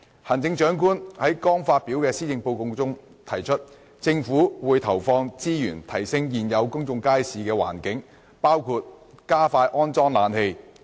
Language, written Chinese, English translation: Cantonese, 行政長官在剛發表的《施政報告》中提出，"政府會投放資源提升現有公眾街市的環境，包括加快安裝冷氣"。, In the Policy Address delivered by her recently the Chief Executive indicated that the Government will allocate resources to improve the environment of existing public markets